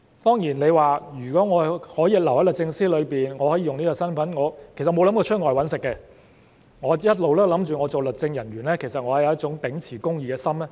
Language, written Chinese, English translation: Cantonese, 當然，他們留在律政司便可以使用這身份，而從未想離職到外謀生，一直想着成為律政人員是為了秉持公義的心。, Of course if they stay in DoJ they can enjoy the status . They have never wanted to leave the Government to make a living outside DoJ and righteousness has always been their cause of becoming legal officers